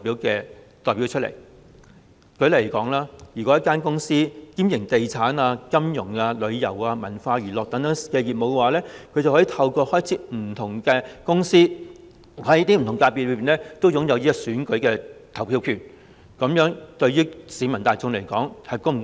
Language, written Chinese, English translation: Cantonese, 舉例而言，一間公司如果兼營地產、金融、旅遊和文化娛樂等業務，就可以透過開設不同公司而在不同界別擁有選舉投票權，這樣對市民大眾又是否公道？, For instance if a company engages concurrently in the businesses of real estate finance tourism culture and entertainment it can have voting right in different FCs through setting up different companies . Is this fair to the general public?